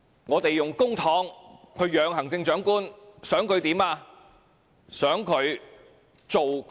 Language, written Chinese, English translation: Cantonese, 我們用公帑去"養"行政長官，想他做甚麼？, We use public funds to keep the Chief Executive and what do we want him to do?